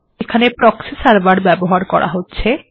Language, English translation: Bengali, So we use a proxy server